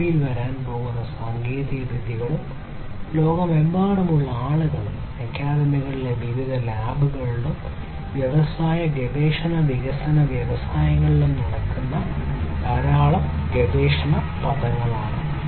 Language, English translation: Malayalam, Technologies that are going to come in the future and people you know worldwide there are lot of research words that are going on in different labs in the academia and in the industries R & D industries